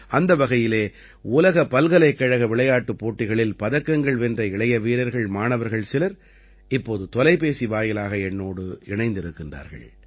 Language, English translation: Tamil, Hence, some young sportspersons, students who have won medals in the World University Games are currently connected with me on the phone line